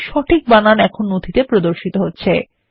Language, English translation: Bengali, You see that the correct spelling now appears in the document